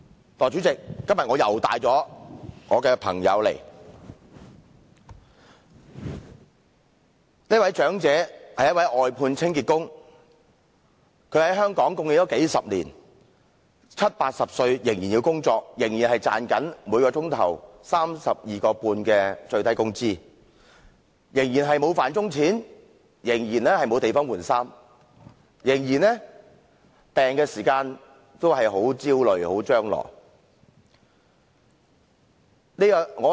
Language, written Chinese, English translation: Cantonese, 代理主席，我今天又帶我的朋友到來，這位長者是一名外判清潔工，他貢獻香港數十年，七八十歲仍要工作，賺取每小時 32.5 元的最低工資，仍沒有"飯鐘錢"，也沒有地方更換衣服，在生病時仍感非常焦慮和張羅殆盡。, Deputy President I have again brought my friend with me today . This elderly person is an outsourced street cleaner . He has been contributing to Hong Kong for decades and he still has to work in his seventies and eighties earning only the minimum hourly pay of 32.5 without a paid lunch hour nor a place to get change to work uniform